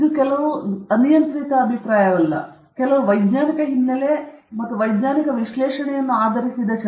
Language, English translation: Kannada, It is not some arbitrary opinion; it is based on some scientific background and some scientific analysis